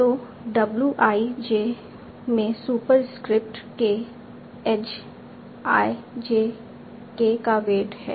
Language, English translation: Hindi, So W I J superscript k is the weight of the edge iJK